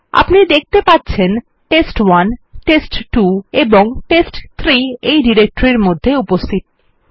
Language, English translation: Bengali, As you can see test1,test2 and test3 are present in this directory